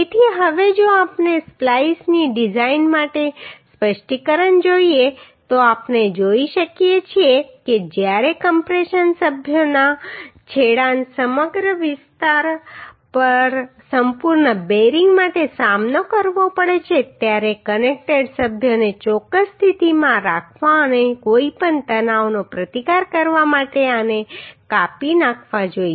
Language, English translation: Gujarati, So now if we see the specification for design of splices we can see that when the ends of the compression members are faced for complete bearing over the whole area these should be spliced to hold the connected members accurately in position and to resist any tension when bending is present